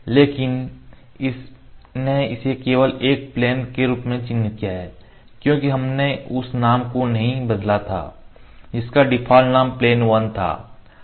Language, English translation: Hindi, But it has just marked it plane one because we did not change the name the default name was plane on